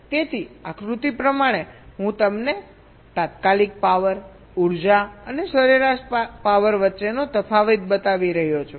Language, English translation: Gujarati, ok, so diagrammatically i am showing you the difference between instantaneous power, the energy and the average power